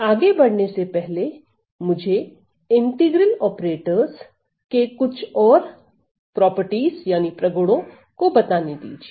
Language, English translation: Hindi, So, before I so let me just introduce few more properties of integral operators